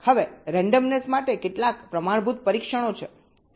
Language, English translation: Gujarati, now there are some standard test for randomness